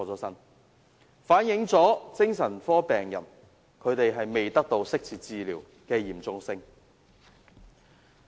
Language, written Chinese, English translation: Cantonese, 這反映精神科病人未能得到適切治療的嚴重性。, This reflects the gravity of the failure of psychiatric patients to receive appropriate and relevant treatment